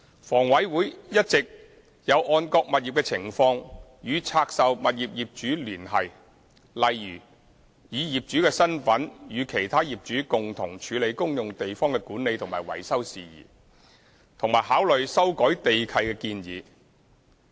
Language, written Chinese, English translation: Cantonese, 房委會一直有按各物業的情況，與拆售物業業主聯繫，例如以業主身份與其他業主共同處理公用地方的管理及維修事宜，以及考慮修改地契的建議。, HA has been communicating with the owners of the divested properties in the light of the circumstances of individual properties . For example HA would in the capacity as an owner handle matters relating to the management and maintenance of the common areas together with other owners and consider proposals for amendments to the land leases